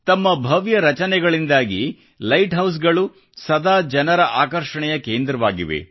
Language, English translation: Kannada, Because of their grand structures light houses have always been centres of attraction for people